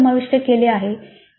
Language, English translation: Marathi, What is involved in that